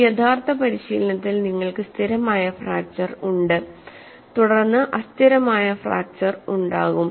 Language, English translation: Malayalam, In an actual practice, you will have stable fracture followed by unstable fracture there is will be hardly any time